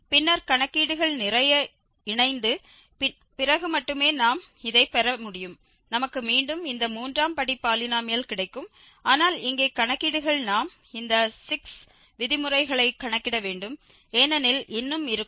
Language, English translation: Tamil, And then only after combining all these with a lot of calculations we can get, we will get again this third degree polynomial, but here the calculations will be more because we have to compute these 6 terms